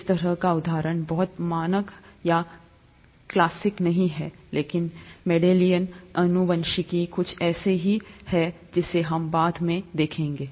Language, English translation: Hindi, It's not a very standard or classic example of this kind, but Mendelian genetics is something that we would look at in a later lecture